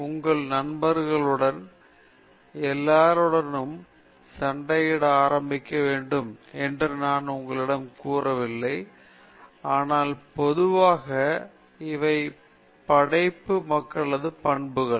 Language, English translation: Tamil, I am not suggesting it you that you should start fighting with your friends and all that, but generally these are the characteristics of creative people